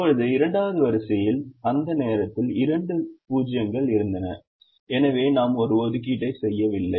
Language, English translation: Tamil, now the second row had at that point two zeros, so we did not make an assignment